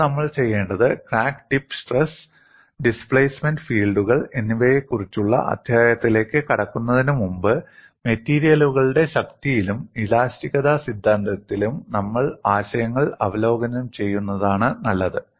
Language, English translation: Malayalam, And now, what we will do is, before we get into the chapter on the crack tip stress in displacement fields, it is better that we review concepts in strength of materials as well as theory of elasticity and get into the solution for the crack tip stress fields